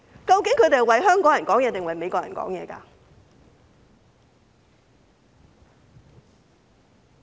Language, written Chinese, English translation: Cantonese, 究竟他們是為香港人發聲，還是為美國人發聲？, Do they actually speak for Hong Kong people or for Americans?